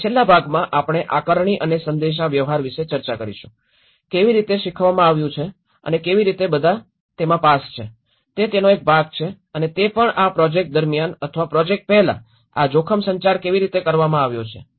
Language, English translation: Gujarati, And the last part, we are discussed about the assessment and the communication, how the learnings has been communicated and how all, that is one aspect of it and also internally during the project or before the project, how this risk communication has been